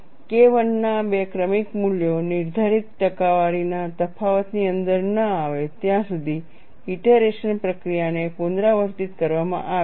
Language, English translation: Gujarati, The iteration procedure is repeated until two successive values of K 1 are within a prescribed percentage difference, then you stop